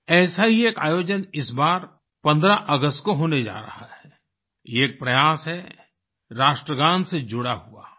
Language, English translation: Hindi, A similar event is about to take place on the 15th of August this time…this is an endeavour connected with the National Anthem